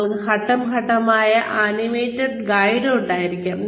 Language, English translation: Malayalam, You could have, step by step, animated guide